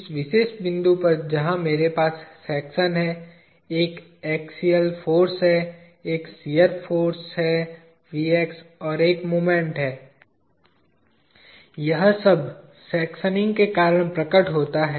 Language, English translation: Hindi, At this particular point where I have section, there is an axial force, there is a shear force VX, and there is a moment, all this appear because of sectioning